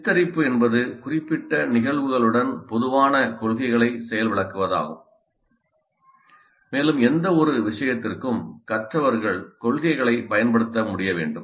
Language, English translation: Tamil, Portrail is demonstration of the general principles with specific cases and learners must be able to apply the principles to any given case